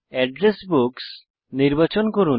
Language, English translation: Bengali, Select Address Books